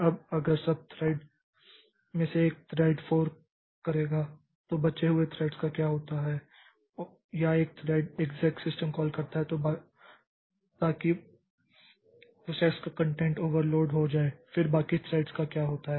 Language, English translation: Hindi, Now if one of the thread forks then what what happens to the remaining threads or one of the thread overlies or over the call makes an exact system call so that the content of the process is overlaid then what happens to the remaining threads